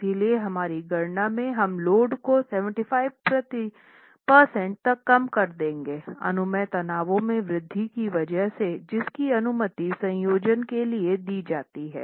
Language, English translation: Hindi, So, we will reduce the load to 75 percent in our calculations to account for the increase in permissible stresses which is permitted due to the combination